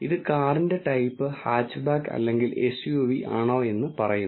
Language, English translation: Malayalam, So, that type here is either hatchback or SUV